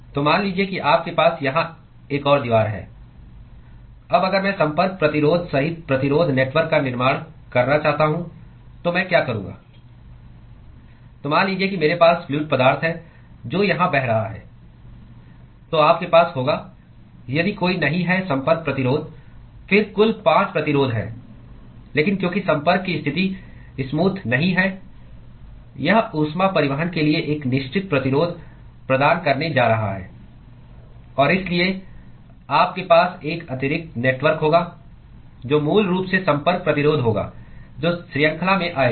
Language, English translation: Hindi, So, supposing if you have another wall here, now if I want to construct resistance network including the contact resistance, then what I would do is so, supposing I have fluid which is flowing here, then you will have if there is no Contact Resistance, then there total of 5 resistances, but because the contact position is not smooth, it is going to offer a certain resistance to heat transport;l and therefore, you will have an additional network which is basically the Contact Resistance which will come in series